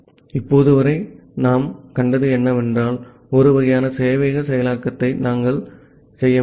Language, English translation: Tamil, So, what we have seen till now, that we can do a kind of server implementation